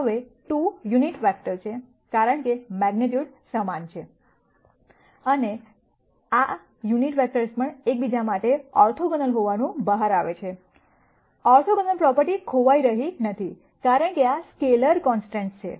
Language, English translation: Gujarati, Now, these 2 are unit vectors, because the magnitudes are the same and these unit vectors also turn out to be orthogonal to each other, the orthogonal property is not going to be lost, because these are scalar constants